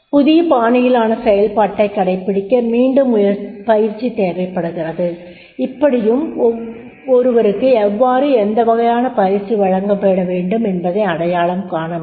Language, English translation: Tamil, To adopt the new style of functioning again training need is there and therefore in that case one can identify how to what type of training is to be provided